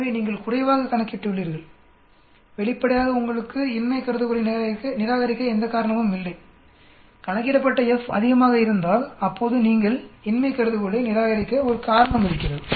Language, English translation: Tamil, So you have calculated less, obviously there is no reason for you to reject the null hypothesis, if the F calculated is greater then there is a reason for you to reject the null hypothesis